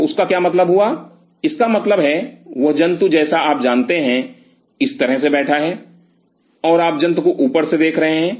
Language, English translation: Hindi, So, what does that mean; that means, that animal is you know sitting like this, and you are seeing the animal from the top